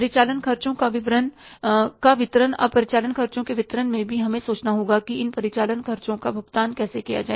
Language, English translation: Hindi, Now, in the operating expenses disbursements also, we have to think about how these operating expenses have to be paid for